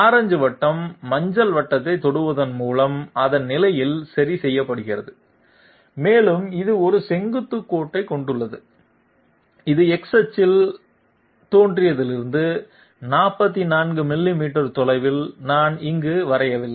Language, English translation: Tamil, The orange circle is fixed in its position by touching the yellow circle and it is also having a vertical tangent which I have not drawn here at 44 millimeters away from the origin along X axis